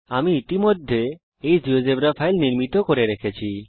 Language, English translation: Bengali, I have already created this geogebra file